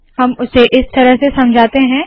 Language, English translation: Hindi, So we explain this as follows